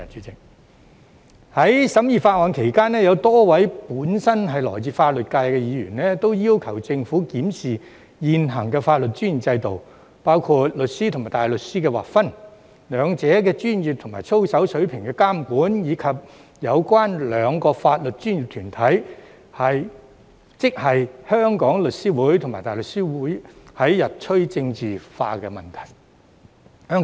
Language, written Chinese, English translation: Cantonese, 在審議法案期間，有多位本身來自法律界的議員均要求政府檢視現行的法律專業制度，包括律師與大律師的劃分、兩者的專業及操守水平的監管，以及有關兩個法律專業團體——即香港律師會及香港大律師公會——日趨政治化的問題。, During the scrutiny of the Bill a number of Members from the legal sector requested the Government to review the existing regime of the legal profession including the demarcation between solicitors and barristers the monitoring of the professional standards and conduct of both branches and the increasing politicization of the two legal professional bodies namely The Law Society of Hong Kong and the Hong Kong Bar Association HKBA